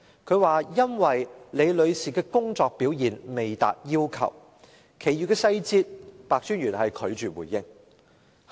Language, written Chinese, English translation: Cantonese, 他說，因為李女士的工作表現未達要求，其餘細節白專員拒絕回應。, He only said that the work performance of Ms Rebecca LI failed to meet the requirements but he refused to give any details of the incident